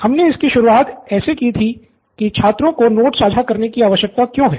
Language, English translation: Hindi, So we have started with why do students need to share notes